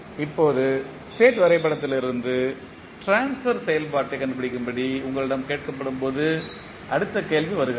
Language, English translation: Tamil, Now, the next question comes when you are asked to find the transfer function from the state diagram